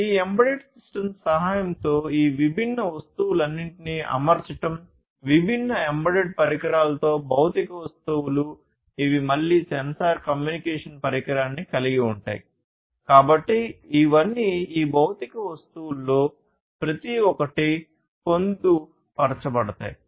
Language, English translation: Telugu, By the help of these embedded systems, fitting all of these different objects, the physical objects with different embedded devices, which again will have sensors communication device, and so on; so all of these are going to be you know embedded into each of these physical objects